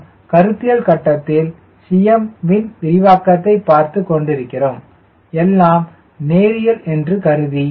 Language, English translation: Tamil, please understand, at a conceptual stage we are talking about the expansion of cm, assuming everything to be linear, ok, so if this is a point zero